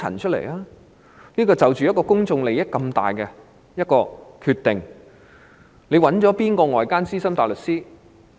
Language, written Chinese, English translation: Cantonese, 在作出這個涉及公眾利益的重大決定前，她曾諮詢哪位外間資深大律師？, Before making this major decision involving public interests which external senior barrister had she consulted?